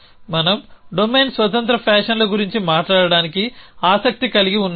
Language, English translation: Telugu, We are interested in talking about domain independent fashions